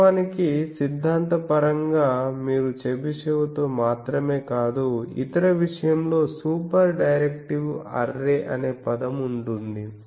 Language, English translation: Telugu, Actually, theoretically you can with this not only with Chebyshev with others there are there is a term called super directive array in a thing